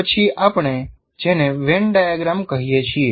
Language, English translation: Gujarati, This is what we call Venn diagram